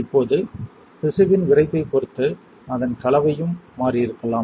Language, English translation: Tamil, Now, depending on the stiffness of the tissue maybe its composition may also have changed